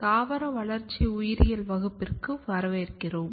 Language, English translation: Tamil, Welcome back to Plant Developmental Biology course